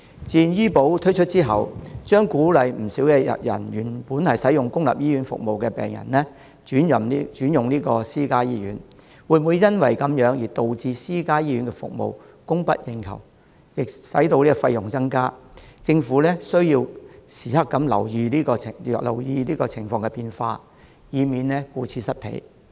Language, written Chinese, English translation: Cantonese, 自願醫保推出後，將鼓勵不少原本使用公立醫院服務的病人轉到私家醫院，會否因此而導致私家醫院服務供不應求、費用增加，政府需要時刻留意情況變化，以免顧此失彼。, Will the services of private hospitals fail to meet demand and will the charges be increased? . The Government needs to constantly watch for any changes in the situation so as to strike a balance between public and private healthcare services